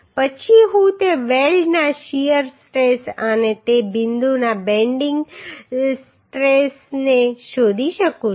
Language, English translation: Gujarati, Then I can find out the shear stress of that weld and bending stress of that point